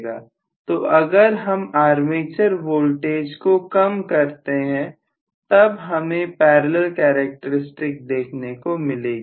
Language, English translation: Hindi, So If I reduce the armature voltage I will have basically parallel characteristics